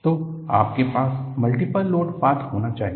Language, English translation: Hindi, So, you need to have multiple load path